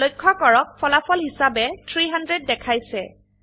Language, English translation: Assamese, Notice the result shows 300